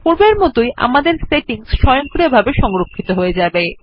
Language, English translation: Bengali, As before, our settings will be saved automatically